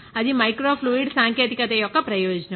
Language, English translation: Telugu, That is the advantage of microfluidic technology